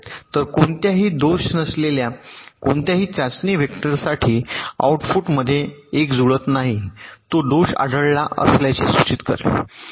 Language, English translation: Marathi, so for any test vector with any fault, if there is a mismatch in the output it will indicate that fault is detected